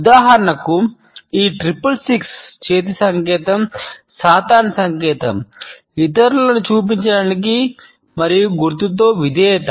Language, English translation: Telugu, For instance this hand sign is a satanic sign meaning 666 to show others and allegiance with sign